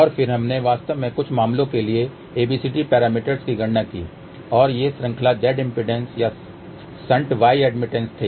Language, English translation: Hindi, And then we actually calculated abcd parameters for a few cases and these were series z impedance or shunt y admittance